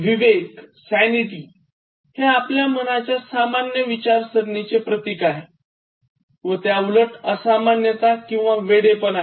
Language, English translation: Marathi, Sanity is your normal thinking mind and the opposite is abnormality or insanity